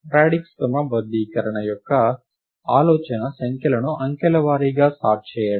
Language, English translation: Telugu, The idea of the radix sort is to sort numbers digit by digit